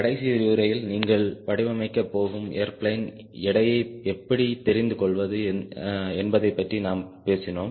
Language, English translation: Tamil, in the last lecture we are talking about how to get an idea of the weight of the airplane you are going to design